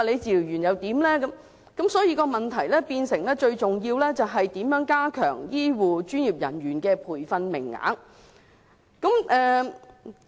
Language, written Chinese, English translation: Cantonese, 所以，最重要的問題是如何增加醫護和專業人員的培訓名額。, So it is most imperative to think about how we can increase the training places for health care workers and professionals